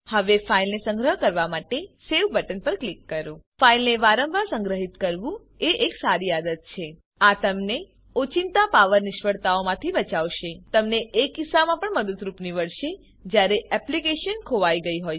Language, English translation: Gujarati, Now click on Save button to save the file It is a good habit to save files frequently This will protect you from sudden power failures It will also be useful in case the applications were to crash